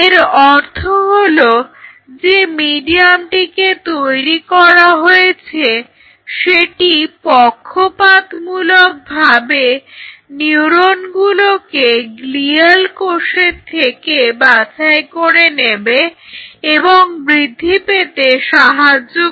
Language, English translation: Bengali, Now that means that the medium which has been developed selects or preferentially allows the neurons to grow better as compared to the glial cells